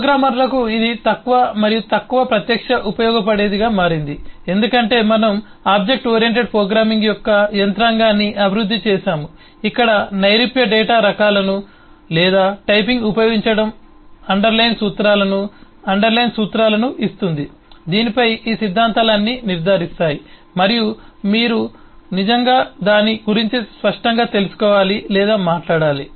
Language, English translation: Telugu, but it has become less and less eh directly usable for the programmers because we have evolved the mechanism of object oriented programming where the use of the abstract data types or typing gives a underline, principles, underline promises on which the all these actions are ensured, and you do not really need to explicitly know or talk about that